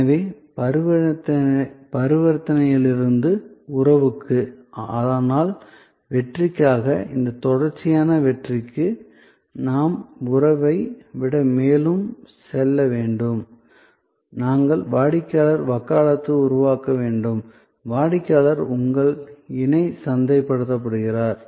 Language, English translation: Tamil, So, from transaction to relation, but for success, this continuous success, we need to go further than the relation, we need to create customer advocacy, customer then becomes your co marketed